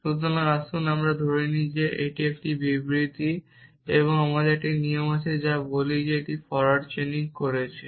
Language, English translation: Bengali, So, let us assume that that is a true statement and I have a rule which I am let us say I am doing forward chaining